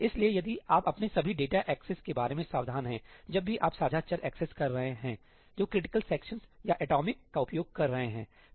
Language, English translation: Hindi, So, if you are careful about all your data accesses whenever you are accessing shared variables that are using critical sections or ëatomicí (right what are the other implicit flushes